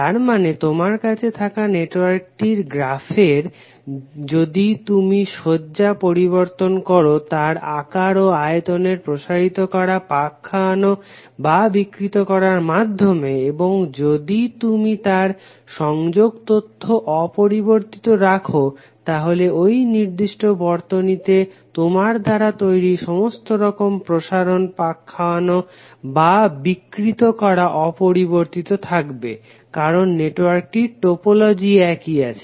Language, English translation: Bengali, That means that if you have the network and you change the orientation of the graph by stretching twisting or distorting its size if you keep the connectivity information intake all the different types of stretches or distort you have created with that particular circuit will always remain same because the topology of the network is same